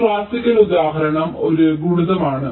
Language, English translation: Malayalam, well, one classical example is a multiplier